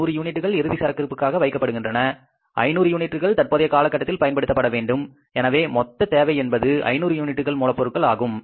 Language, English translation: Tamil, 100 to be kept as a closing stock, 500 to be used in the current month, your total requirement is of the 600 units of raw material